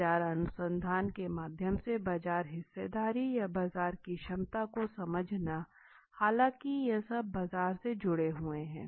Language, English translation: Hindi, Understanding the market share or the market potential through the market research though these are something connected with markets